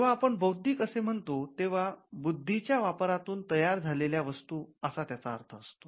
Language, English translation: Marathi, When we mean intellectual, we referred to things that are coming out of our intellect